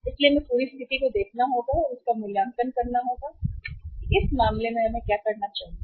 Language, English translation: Hindi, So we will have to see and evaluate the whole situation that what should we do in this case